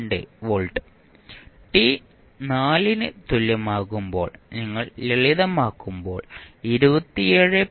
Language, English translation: Malayalam, 902 volts and at t is equal to 4 you simplify you will get 27